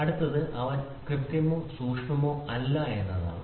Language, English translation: Malayalam, The next one is he is neither precise nor accurate